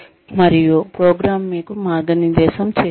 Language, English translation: Telugu, And, the program itself, guides you